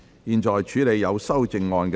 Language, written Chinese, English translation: Cantonese, 現在處理有修正案的條文。, The committee now deals with the clauses with amendments